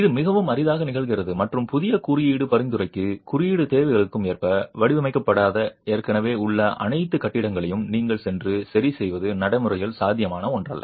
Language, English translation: Tamil, It very rarely happens and it is not something that is practically feasible that you go and fix all existing buildings which have not been designed as per code requirements to the new code prescriptions